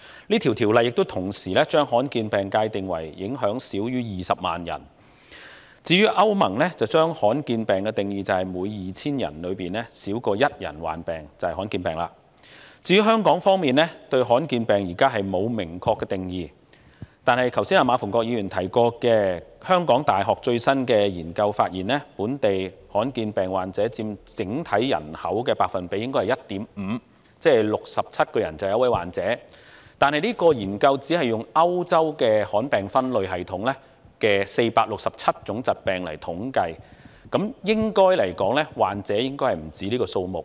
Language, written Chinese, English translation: Cantonese, 這項條例亦同時將罕見疾病界定為影響少於20萬人；歐洲聯盟則將罕見疾病定義為每 2,000 人中少於1人患病；至於香港方面，現時對罕見疾病並沒有明確的定義，但是馬逢國議員剛才提及香港大學最新的研究發現，本地罕見疾病患者佔整體人口 1.5%， 即每67人便有1位患者，但由於是次研究只是以歐洲罕見疾病分類系統當中的467種疾病來統計，就此而言，患者人數應該不止此數。, In Hong Kong there is no specific definition of rare diseases . But Mr MA Fung - kwok just mentioned the latest discovery from the study of the University of Hong Kong that rare disease patients account for 1.5 % of our population or there is one patient in every 67 people . However since this study is only based on 467 kinds of diseases under the European classification system of rare diseases the actual number of patients should exceed that figure